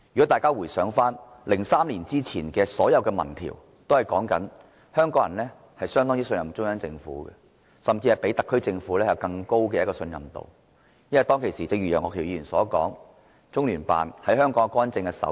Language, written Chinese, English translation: Cantonese, 大家回想，在2003年前，所有民調均顯示香港人相當信任中央政府，甚至信中央多於信特區政府，因為當時，正如楊岳橋議員所說，我們不太察覺中聯辦在香港干政的身影。, As we may recall before 2003 all opinion polls showed that Hong Kong people had great trust in the Central Government . They even trusted the Central Authorities more than the SAR Government because at that time as pointed out by Mr Alvin YEUNG we were not aware of the presence of LOCPG